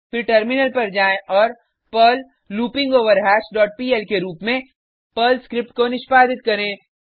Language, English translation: Hindi, Then, switch to terminal and execute the Perl script as perl loopingOverHash dot pl and press Enter